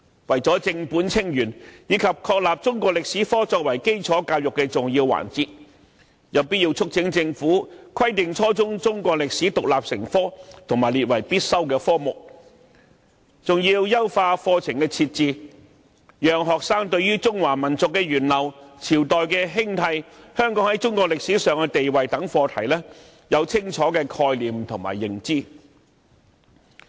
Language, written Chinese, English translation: Cantonese, 為了正本清源，以及確立中史科作為基礎教育的重要環節，因此有必要促請政府規定將初中中史獨立成科及列為必修科目，並優化課程內容，從而讓學生對中華民族的源流、朝代興替、香港在中國歷史上的地位等課題，都有清楚的概念和認知。, In order to thoroughly re - examine Chinese history education and affirm Chinese history as an important area of our basic education there is a need to urge the Government to require the teaching of Chinese history as an independent subject at junior secondary level and make the subject compulsory . The curriculum should also be enhanced to enable students to have a clear concept and understanding of topics such as the development of the Chinese nation the rise and fall of dynasties and the status of Hong Kong in Chinese history and so on